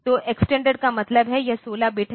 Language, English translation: Hindi, So, extended means it is 16 bit